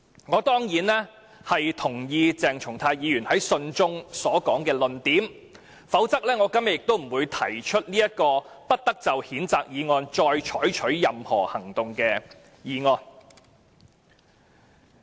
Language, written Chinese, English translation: Cantonese, "我當然認同鄭松泰議員信中所說的論點，否則我今天亦不會提出"不得就謝偉俊議員動議的譴責議案再採取任何行動"的議案。, I definitely agree with the argument advanced by Dr CHENG Chung - tai in his letter otherwise I will not have proposed the motion that no further action shall be taken on the censure motion moved by Mr Paul TSE today